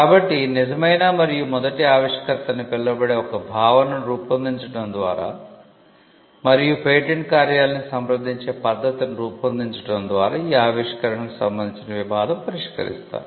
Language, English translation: Telugu, So, the person who law settles dispute with regard to creation by evolving a concept called true and first inventor and evolving a method of approaching the patent office call the first file principle